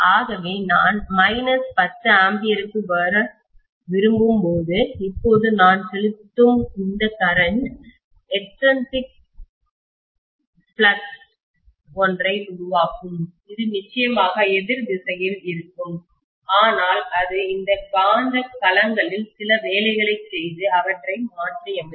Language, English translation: Tamil, So when I have want to come to minus 10 ampere, now this current that I am pumping in, will create an extrinsic flux which is definitely in the opposite direction, but it has to do some work on these magnetic domains and realign them